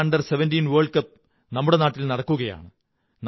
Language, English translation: Malayalam, FIFA under 17 world cup is being organized in our country